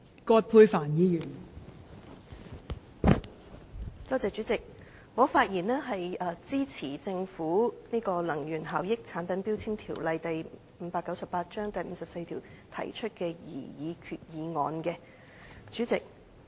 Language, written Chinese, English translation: Cantonese, 代理主席，我發言支持政府根據《能源效益條例》第54條提出的擬議決議案。, Deputy President I speak in support of the proposed resolution put forth by the Government under section 54 of the Energy Efficiency Ordinance